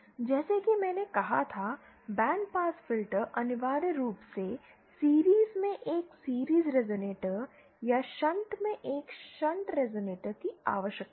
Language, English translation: Hindi, Again as I said, band pass filter essentially needs a series resonator in series or a shunt resonator in shunt